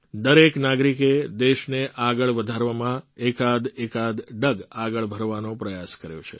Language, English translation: Gujarati, Every citizen has tried to take a few steps forward in advancing the country